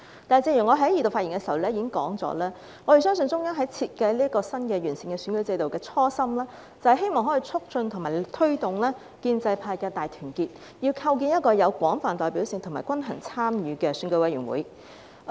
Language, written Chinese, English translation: Cantonese, 然而，正如我在二讀辯論發言時指出，我們相信中央設計新的完善選舉制度的初心，是希望可以促進和推動建制派的大團結，要構建一個有廣泛代表性及均衡參與的選委會。, However as I pointed out in my speech during the Second Reading debate we believe that the original intention of the Central Authorities in designing the new and improved electoral system is to promote and facilitate solidarity of the pro - establishment camp . It is necessary to constitute an EC with broad representation and balanced participation